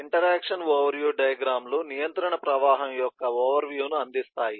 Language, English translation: Telugu, Interaction overview diagrams provide overview of the flow of control